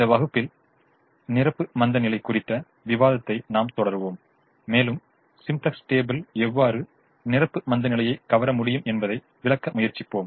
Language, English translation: Tamil, in this class we continue the discussion on the complimentary slackness and we we try to explain how the simplex table is able to capture the complementary slackness